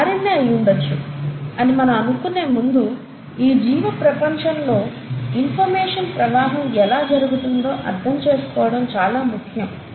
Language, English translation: Telugu, Now before I get to why we think it would have been RNA, it's important to understand the flow of information in a living world